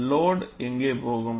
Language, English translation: Tamil, Where would the load go